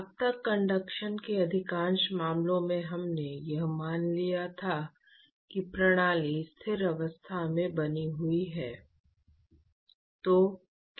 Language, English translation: Hindi, So far in most of the cases in conduction, we assumed that the system is maintained at a steady state